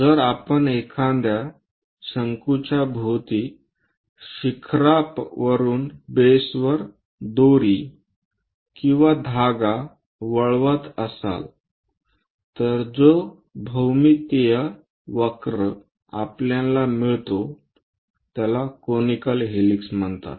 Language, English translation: Marathi, So, if we are winding a rope or thread around a cone sorting all the way from apex to base, the geometric curve we get is called conical helix